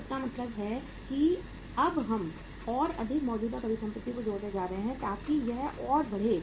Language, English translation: Hindi, So it means now we are going to add up more current assets so this is going to further increase